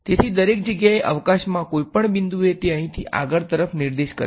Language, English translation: Gujarati, So, everywhere in at any point in space it is pointing outwards over here